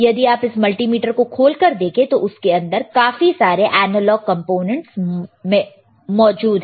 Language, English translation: Hindi, If you see this multimeter if you really open it there is lot of analog components